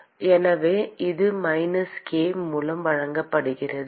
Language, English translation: Tamil, And so this is given by minus k